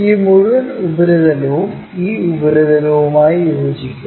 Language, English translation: Malayalam, This entire surface coincides with this surface